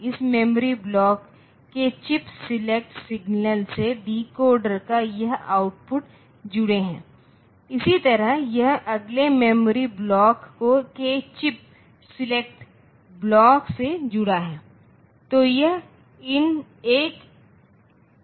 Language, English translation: Hindi, So, this chips it is so this line is connected to the chip select signal of this memory block similarly this is connected to the chips select block of the next memory block